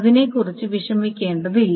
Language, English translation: Malayalam, So it does not need to bother about it